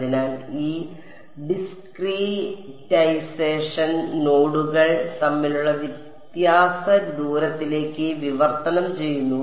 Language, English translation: Malayalam, So, that discretization translates into the difference distance between nodes